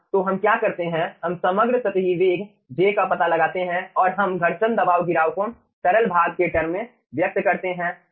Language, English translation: Hindi, we find out the overall ah superficial velocity, j, and we express ah, ah, the frictional pressure drop in terms of fluid part